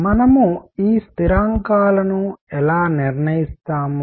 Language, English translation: Telugu, How do we determine these constants